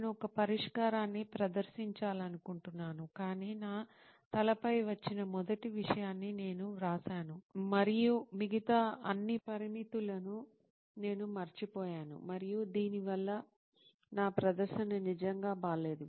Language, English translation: Telugu, I wanted to propose a solution, but I just wrote down the first thing that came in my head and I forgot all the other parameters and this resulted my presentation to get really bad